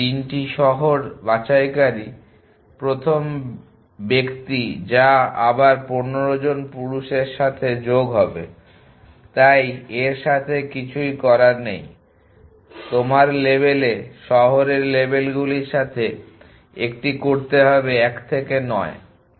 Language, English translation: Bengali, The first person to pick up 3 cities exactly which is adder to 15 men’s again so nothing do with that your cost just a do with city labels in the labels are 1 to 9